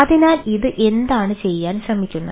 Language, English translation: Malayalam, so what it what it tries to do